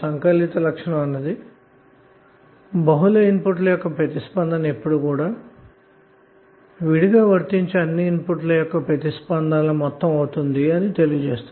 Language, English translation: Telugu, So additivity property will say that the response to a sum of inputs is the sum of responses to each input applied separately